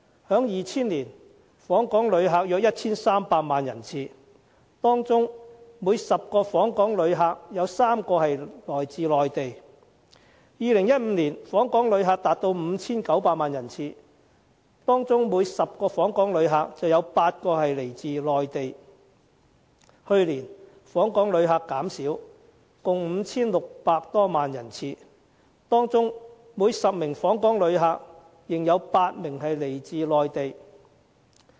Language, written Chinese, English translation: Cantonese, 在2000年，訪港旅客有 1,300 萬人次，當中每10名訪港旅客有3名來自內地；在2015年，訪港旅客達 5,900 萬人次，當中每10名訪港旅客有8名來自內地；去年，訪港旅客減少，共 5,600 多萬人次，當中每10名訪港旅客仍有8名來自內地。, In 2000 the number of visitor arrivals to Hong Kong was 13 million among which 3 visitors out of 10 came from the Mainland . In 2015 the number of visitor arrivals to Hong Kong reached 59 million among which 8 out of 10 came from the Mainland . Last year the number of visitor arrivals to Hong Kong dropped to 56 million among which 8 out of 10 still came from the Mainland